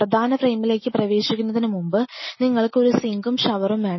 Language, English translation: Malayalam, Before you enter to the mainframe which is you wanted to have a sink and a shower